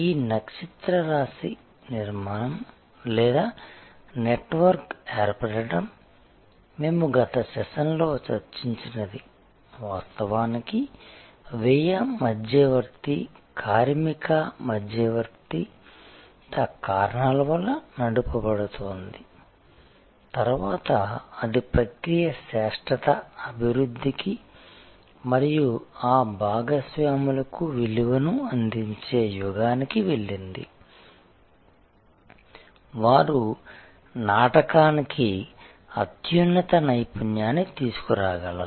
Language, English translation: Telugu, And this constellation formation or network formation, we discussed in the last session originally was driven by cost arbitrage, labor arbitrage reasons, it then move to the era of developing process excellence and giving value to those partners, who could bring superior expertise to the play